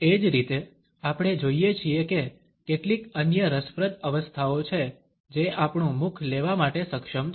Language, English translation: Gujarati, Similarly, we find that there are some other interesting positions which our mouth is capable of taking